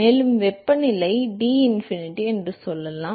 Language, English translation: Tamil, And let us say the temperature is Tinfinity to let say